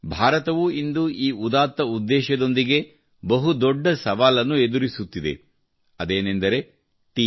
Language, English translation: Kannada, Today, India too, with a noble intention, is facing a huge challenge